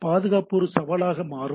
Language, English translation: Tamil, So, security becomes a major challenge